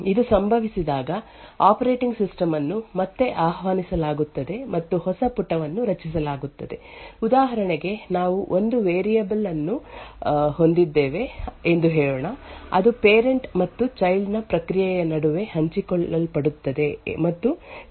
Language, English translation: Kannada, When this happens, then the operating system gets invoked again and a new page gets created for example, let us say we have one variable which is shared between the parent and the child process and let us say after the child gets created, the child process modifies that particular data when that instruction gets executed it would result in a fault in operating system and a new page corresponding to that modified data gets allocated to the child process in the physical memory